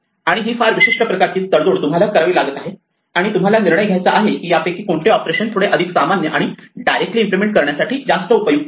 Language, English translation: Marathi, And this is a very typical case of the kind of compromise that you have to deal with and you have to decide which of these operations is slightly to be more common and more useful for you to implement directly